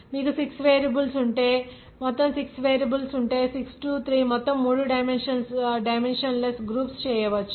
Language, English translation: Telugu, If you have 6 variables total dependent independent all total if you have 6 variables then you can make 6 3 total three dimensionless groups